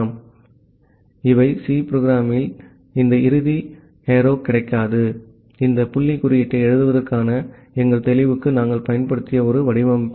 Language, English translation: Tamil, So, these are C program do not get with this end arrow and this dot just a formatting we have used for our clarity of writing the code